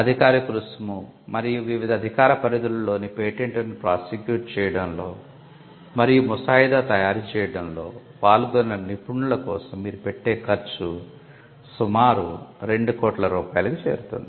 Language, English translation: Telugu, Then the cost which includes the official fee and the fee that you would take for the professionals involved in prosecuting and drafting the patent in different jurisdictions could be a matter the transect 2 crores